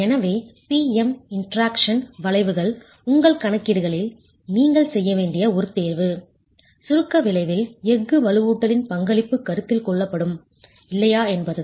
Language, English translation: Tamil, So, the PM interaction curves, one choice that you should make in your calculations is whether the contribution of the steel reinforcement to the compression resultant is going to be considered or not